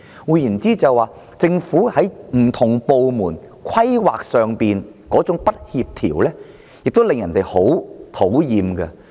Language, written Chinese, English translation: Cantonese, 換言之，政府不同部門之間在規劃上的不協調，亦令人十分討厭。, Yet no related modification plan is seen so far . In other words discordant planning among different government departments is also pretty annoying